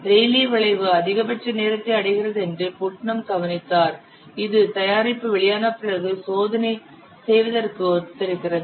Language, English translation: Tamil, Putnam observed that the time at which the Raleigh curve reaches its maximum value, it corresponds to the system testing after a product is released